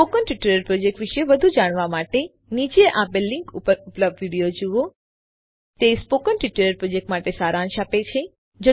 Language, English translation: Gujarati, To know more about the Spoken Tutorial project, watch the video available at the following link, It summarises the spoken tutorial project